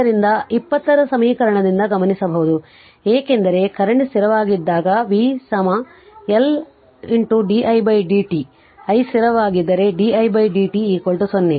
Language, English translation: Kannada, So, it can be noted from equation 20 that when the current is constant because, v is equal to L into di by dt, if i is constant then di by dt is equal to 0 right